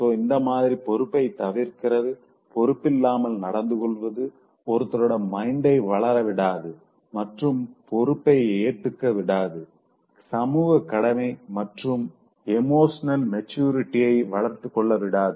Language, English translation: Tamil, So this tendency to avoid a responsibility, shirking responsibility, being irresponsible, and not even letting one's mind to grow up and accept this level of responsibility, social obligation and developing emotional maturity